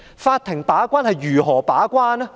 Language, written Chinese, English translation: Cantonese, 法庭如何把關？, How can courts serve as gatekeepers?